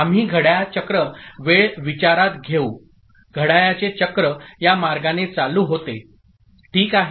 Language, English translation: Marathi, So we consider that the clock cycle time, clock cycle time, this is the way the clock is triggering, right